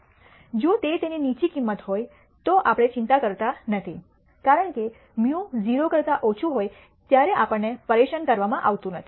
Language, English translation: Gujarati, If it has a low value we are not bothered because we are not bothered when mu is less than 0